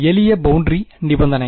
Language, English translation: Tamil, Simple boundary conditions